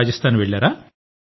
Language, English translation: Telugu, Hence I went to Rajasthan